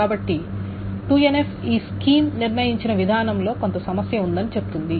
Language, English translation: Telugu, So 2NF essentially says that there is some problem with the way the schema is determined